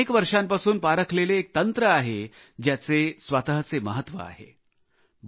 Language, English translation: Marathi, These are time tested techniques, which have their own distinct significance